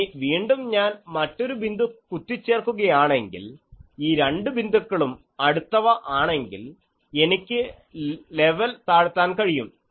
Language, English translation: Malayalam, Now, I pin it again another point so, if these 2 points are nearby then I can make the level go down